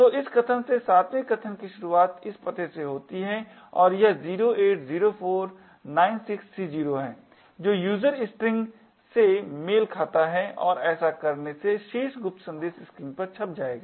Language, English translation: Hindi, So, starting from this location the 7th argument corresponds to this address here and this is 080496C0 which corresponds to the user string and doing this the top secret message would get printed on the screen